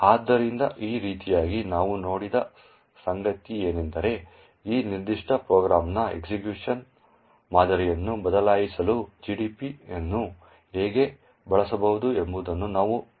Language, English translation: Kannada, So, in this way what we have seen is that, we have seen how GDB can be used to actually change the execution pattern of this particular program